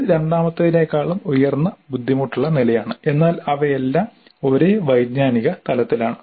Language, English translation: Malayalam, So it gives higher difficulty level while retaining the same cognitive level